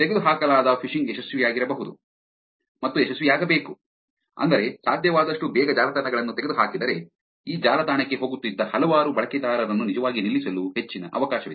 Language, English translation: Kannada, Phishing, which is takedown has to be successful, which is if the websites are taken down as early as possible as soon as possible, then there is a high chance of this several users who were going to this website can be actually stopped